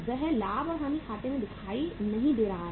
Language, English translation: Hindi, That is not appearing in the profit and loss account